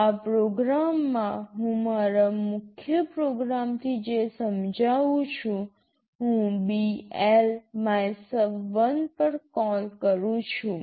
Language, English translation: Gujarati, In this program what I am illustrating from my main program, I am making a call BL MYSUB1